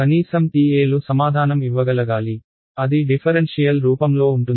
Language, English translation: Telugu, At least the TAs should be able to answer, differential it is in the differential form